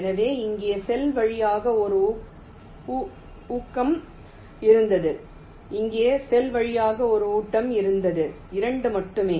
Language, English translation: Tamil, so there was one feed through cell here, one feed through cell, here only two